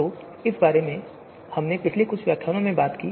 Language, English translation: Hindi, So all this we have talked about in the previous lecture as well